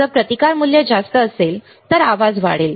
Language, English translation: Marathi, If the resistance value is higher, noise will increase